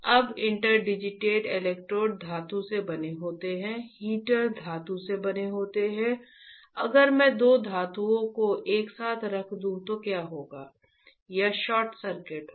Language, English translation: Hindi, Now interdigitated electrodes are made up of metal, heater is made up of metal if I place two metals together what will happen, it will be short circuit right it will be short